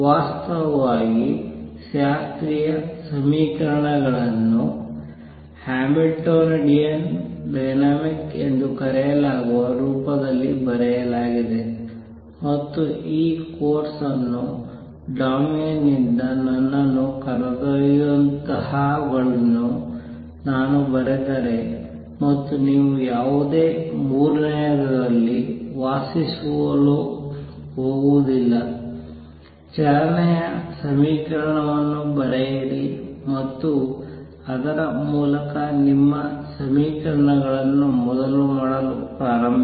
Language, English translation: Kannada, In fact, the classical equations are written in the form which is known as Hamiltonian dynamics and if I write those that will take me out of the domain of this course and therefore, I am not going to dwell on that any further and third when you write the equation of motion and then through that you start doing your equations as was done earlier